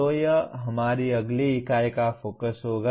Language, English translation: Hindi, So that will be the focus of our next unit